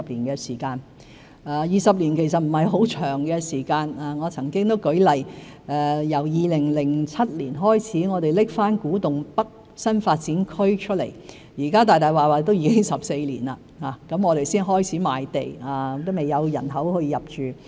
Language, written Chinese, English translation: Cantonese, 20年其實不是很長的時間，我曾經舉例，自2007年再提出古洞北新發展區，距今已經14年，我們才開始賣地，仍未有人口入住。, In fact 20 years are not very long and I have given an example before . It has been 14 years since the Kwu Tung North New Development Area was proposed again in 2007; land sales have only started and no one has moved in yet